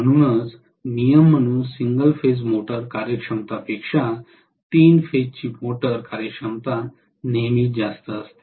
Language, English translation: Marathi, So the three phase motor efficiency is always going to be greater than single phase motor efficiency as a rule